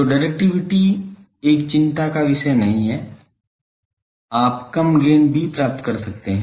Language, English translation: Hindi, So, directivity is not a concern you can suffer a low gain also